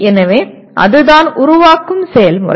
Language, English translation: Tamil, So that is what is create process